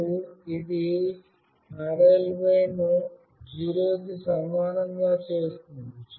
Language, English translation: Telugu, And this will also make “rly” equals to 0